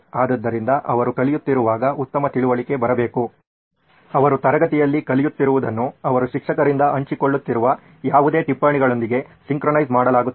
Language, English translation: Kannada, So better understanding should come when they are learning, whatever they are learning in class is synchronized with whatever notes they are being shared from the teachers